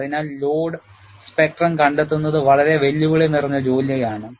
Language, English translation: Malayalam, So, finding out the load spectrum itself, is a very challenging task